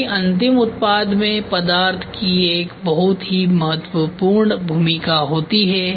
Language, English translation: Hindi, Because material place a very important role in the final product ok